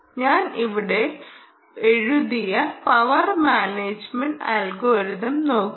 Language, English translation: Malayalam, look at what i have written here: the power management algorithm